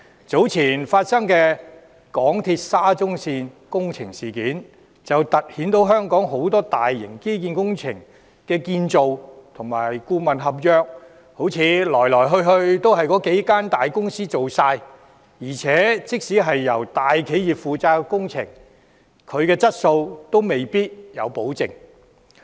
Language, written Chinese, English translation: Cantonese, 早前揭發的香港鐵路有限公司沙田至中環線工程事件，凸顯香港很多大型基建工程的建造和顧問合約，來來去去都只是由幾間大公司承辦，而且即使是由大企業承建的工程，質素亦未必有保證。, Earlier on the incident relating to the Shatin to Central Link Project of the MTR Corporation Limited MTRCL which has come to light revealing the fact that the construction and consultancy contracts of many large infrastructure projects in Hong Kong have been invariably awarded to a few large corporations . In addition even if the projects have been undertaken by large corporations their quality is not necessarily assured